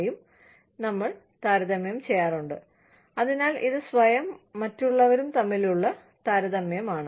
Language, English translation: Malayalam, You know, so it is a comparison, between self and the other